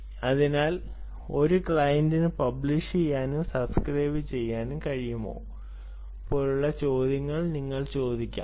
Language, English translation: Malayalam, you may ask questions like: can a client be both publish and subscribe